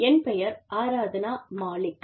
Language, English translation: Tamil, I am Aradhna Malik